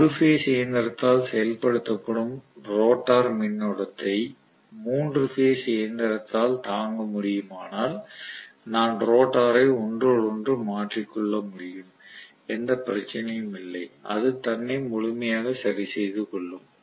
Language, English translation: Tamil, If the rotor current that is carried by the single phase machine can be withstood by the 3 phase machine as well I can interchange the rotor, no problem at all it will completely adjust itself